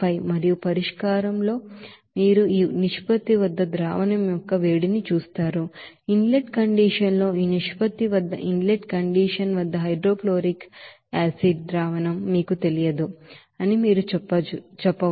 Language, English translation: Telugu, And in the solution you will see that heat of solution at this ratio that you can say that inlet condition there will be no you know hydrochloric acid solution at the inlet condition at this ratio